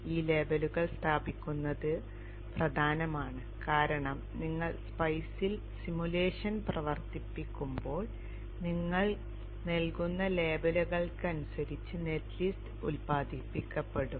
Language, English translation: Malayalam, Placing these labels are important because when you run the simulation in spice the net list is generated according to the labels that you would provide